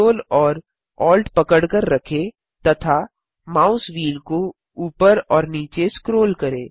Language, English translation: Hindi, Hold ctrl, alt and scroll the mouse wheel up and down